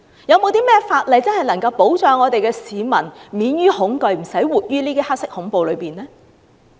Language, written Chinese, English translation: Cantonese, 有甚麼法例能真正保障市民免於恐懼，不用活在"黑色恐怖"之下？, What legal safeguards are in place to truly protect Hong Kong people so that they are free from fear and do not have to live under the threat of black terror?